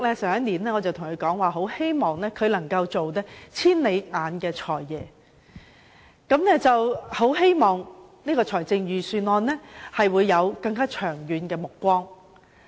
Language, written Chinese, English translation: Cantonese, 去年，我曾跟他說希望他能做"千里眼財爺"，在制訂預算案時能有更長遠的目光。, Last year I have told him that I hoped he could be a Financial Secretary who has clairvoyance and prepare his Budgets from a more far - sighted perspective